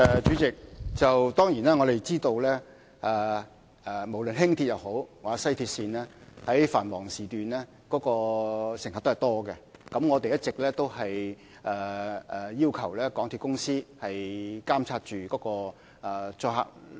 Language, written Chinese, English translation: Cantonese, 主席，當然，我們知道無論是輕鐵或西鐵線，在繁忙時段，乘客都很多，我們一直要求港鐵公司監察載客率。, President we are certainly aware of the large number of passengers during peak hours on both LR or WRL . We have been requesting MTRCL to monitor the patronage